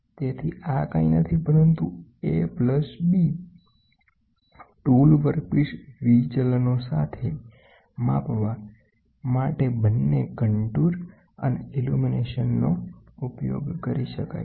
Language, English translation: Gujarati, So, this is nothing, but A plus B both contour and the illumination can be done simultaneously to measure the tool work piece deviations